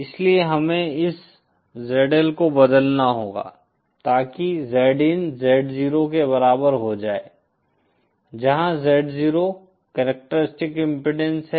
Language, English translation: Hindi, So we have to transform this ZL so that Z in becomes equal to Z 0 where Z 0 is the characteristic impedance